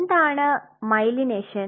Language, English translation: Malayalam, What is myelination